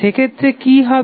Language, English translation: Bengali, What will happen in that case